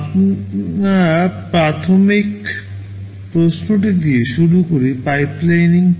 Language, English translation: Bengali, We start with the basic question what is pipelining